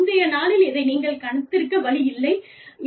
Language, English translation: Tamil, There is no way, that you could have predicted this, on the previous day